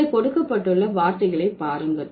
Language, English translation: Tamil, Look at the words given here